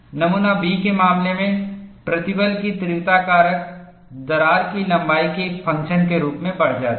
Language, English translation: Hindi, In the case of specimen B, stress intensity factor increases as a function of crack length